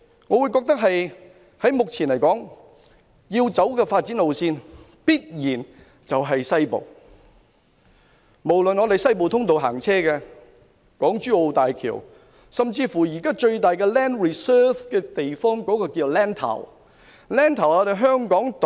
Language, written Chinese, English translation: Cantonese, 我認為目前要走的發展路線必然在西面，不論是西部通道、港珠澳大橋，甚至現在擁有最大量 land reserve 的地方，均位於西面。, It can be given second thoughts . In my opinion the route of development to be taken now definitely lies in the West . The Western Corridor HZMB and even the place currently holding the greatest land reserve are all situated in the West